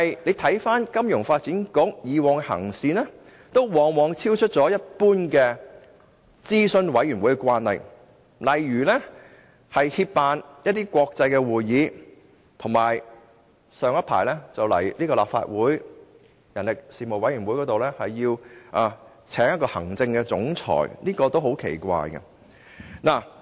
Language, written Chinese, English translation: Cantonese, 然而，金發局過往的行事方式卻往往超出一般諮詢委員會的慣例，例如協辦國際會議，以及早前向立法會人力事務委員會提出聘請一位行政總裁等，這些都是很奇怪的做法。, However FSDC has often acted in ways that go beyond the conventional parameters of advisory committees in general . For example it has co - organized international conferences and proposed the creation of an Executive Director post in the Panel on Manpower of the Legislative Council . All these are very strange acts